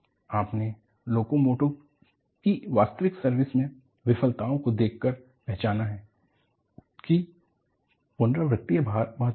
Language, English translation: Hindi, You have recognized by looking at, actual service failures of locomotives, repeated loading is important